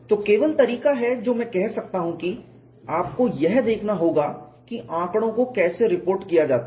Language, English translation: Hindi, So, the only way what I can say is, you have to look at how the data is reported